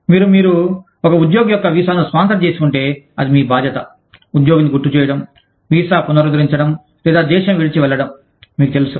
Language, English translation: Telugu, You, if you have sponsored the visa, of an employee, it is your responsibility, to remind the employee, to get the visa renewed, or leave the country, you know, well within time